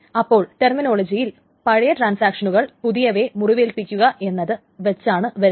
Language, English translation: Malayalam, So in the terminology the old one is said to wound the young one